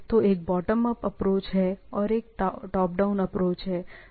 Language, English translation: Hindi, So, one is bottom up approach or is the top down approach